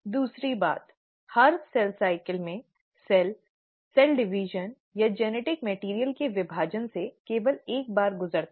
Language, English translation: Hindi, The second thing is in every cell cycle, the cell undergoes cell division or division of the genetic material only once